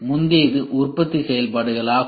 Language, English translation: Tamil, The earlier one was functions of manufacturing